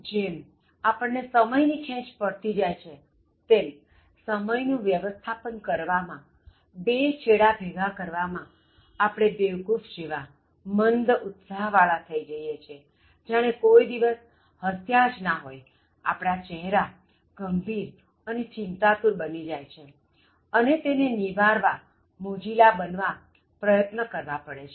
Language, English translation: Gujarati, As we start getting stressed for time, managing time, trying to make this both ends meet, so we sort of become like morons, very dull witted and as if we never laughed, our face becomes very serious, and then worried and then it sort of repels people who would like to be cheerful otherwise